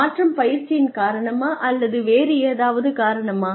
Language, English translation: Tamil, Is the change, due to the training, or is it, due to something else